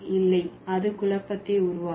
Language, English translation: Tamil, No, it will create a confusion